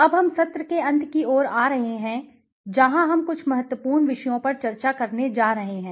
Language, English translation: Hindi, Now we are coming towards the end of the session where we are going to discuss on certain important topics